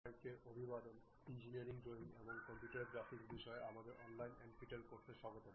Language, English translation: Bengali, Welcome to our online NPTEL classes on Engineering Drawing and Computer Graphics